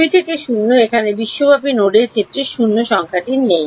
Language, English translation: Bengali, 2 to 0 there is no 0 number over here in terms of the global nodes